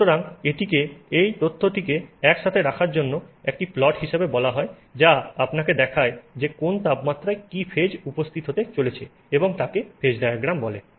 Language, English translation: Bengali, So, this is called putting this information together like this as a plot which shows you at which temperature what phase is going to be present is called a phase diagram